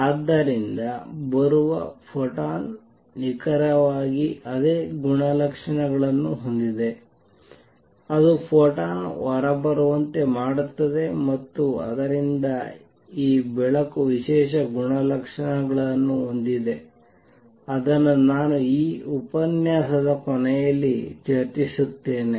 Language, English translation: Kannada, So, photon that is coming in has exactly the same properties that is the photon that makes it come out, and therefore, this light has special property which I will discuss at the end of this lecture